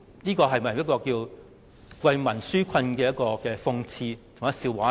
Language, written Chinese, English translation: Cantonese, 在為民紓困而言，這豈不是一個諷刺和笑話嗎？, In the context of offering relief to the people what an irony and laughing stock it is